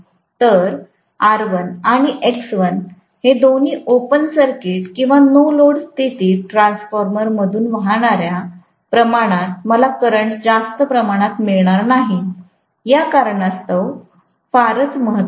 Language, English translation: Marathi, So, R1 and X1, both of them hardly play a role because of the fact that I am not going to have a good amount of current flowing through the transformer under open circuit or no load condition, right